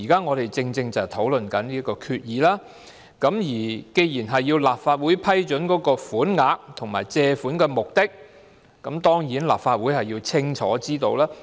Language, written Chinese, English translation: Cantonese, 我們現在正正是討論有關的決議，既然要立法會批准款額和借款目的，立法會當然要了解清楚。, We are now precisely discussing such a resolution . The Legislative Council should get a full picture before approving the amount and purpose of borrowings